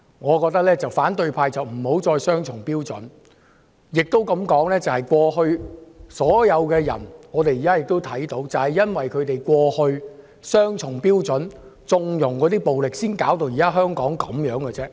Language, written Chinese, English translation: Cantonese, 我覺得反對派不要再持雙重標準，或許這樣說，正正因為過去和現在他們都持雙重標準，縱容暴力，才搞成香港現在這個樣子。, I think the opposition camp should stop adopting double standards . Or maybe to put it another way it is precisely because they have adopted double standards previously and currently to condone violence that Hong Kong has come to this now